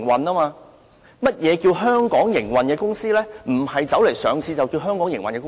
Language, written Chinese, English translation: Cantonese, 並不是在香港上市的公司就是在香港營運。, The fact that a company is listed in Hong Kong does not necessarily imply that it is operating its business here